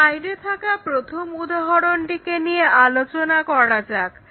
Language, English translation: Bengali, Let us look at an example 1 on this slide